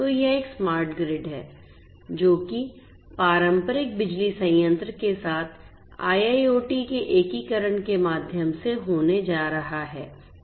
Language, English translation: Hindi, So, in a smart grid which is going to result in through the integration of IIoT with the traditional power plant this is what is going to happen